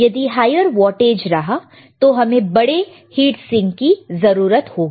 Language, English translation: Hindi, But if it is a higher wattage or it is 5 watt, then we have a bigger heat sink